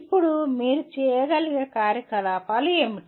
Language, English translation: Telugu, Now what are type of activities you can do